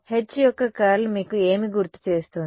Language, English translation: Telugu, Curl of H reminds you a what